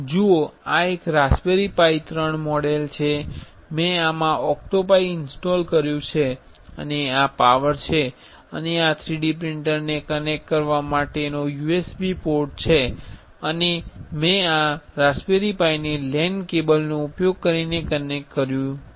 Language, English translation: Gujarati, See this is a raspberry pi 3 model, I have installed OctoPi into this and this is the power and this is the USB port for connecting 3D printer and I have connected this raspberry pi to using a LAN cable